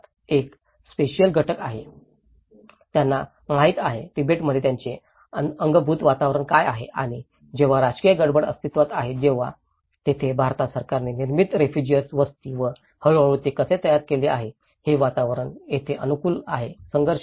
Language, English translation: Marathi, One is a spatial component, what they know, what they have inbuilt environment in Tibet and when the political turmoil existed, then that is where the refugee settlement built by the Indian government and gradually, how they adapt the new built environment that is where the conflicts arrives